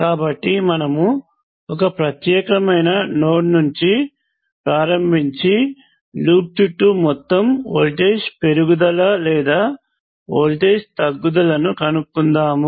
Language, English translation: Telugu, So you start from particular node and trace your way around the loop and you look at the total voltage rise or voltage fall